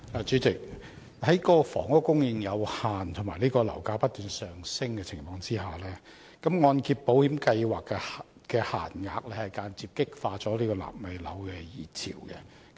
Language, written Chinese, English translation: Cantonese, 主席，在房屋供應有限及樓價不斷上升的情況下，按保計劃的樓價上限間接激化了"納米樓"的熱潮。, President given that housing supply is limited and property prices continue to rise setting the maximum property price of MIP coverage has indirectly aggravated the prevalence of nano flats